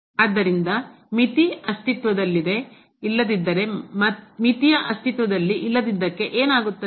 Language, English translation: Kannada, So, what will happen for the Non Existence of a Limit if the limit does not exist for